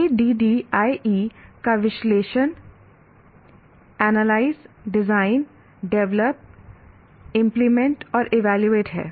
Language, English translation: Hindi, ADE is a acronym for analyze, design, develop, implement and evaluate